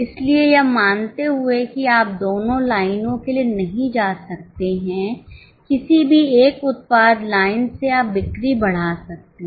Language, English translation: Hindi, So, assuming that you cannot go for both the lines, any one product line you can increase the sales